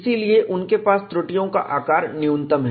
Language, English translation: Hindi, So, they have minimum flaw sizes